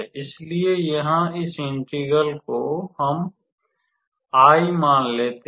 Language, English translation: Hindi, So, here just looking at this integral, let us write it as I